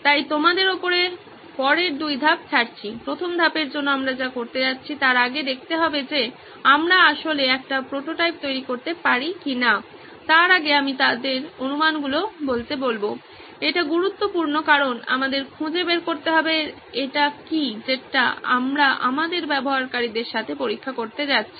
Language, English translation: Bengali, So over to you guys for the two steps for the first step we are going to do, is to see if we can actually build a prototype before that I will ask them to state their assumptions, that is important because we need to find out what it is that we are going to test with our users